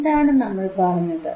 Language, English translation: Malayalam, What I am saying